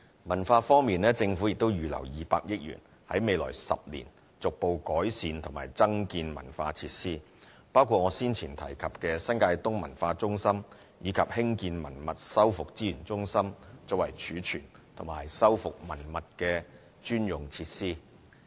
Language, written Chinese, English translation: Cantonese, 文化方面，政府亦已預留200億元，在未來10年逐步改善和增建文化設施，包括我先前提及的新界東文化中心，以及興建文物修復資源中心作為儲存及修復文物的專用設施。, On the cultural side the Government has set aside 20 billion to prepare for the successive improvements and building of new cultural facilities in the next 10 years including the New Territories East Cultural Centre which I mentioned earlier and the construction of the Heritage Conservation and Resource Centre as a dedicated storage and conservation facility